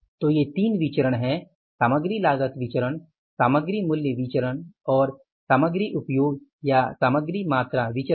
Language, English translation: Hindi, Material cost variance, material price variance and the material usage variance or the material quantity variance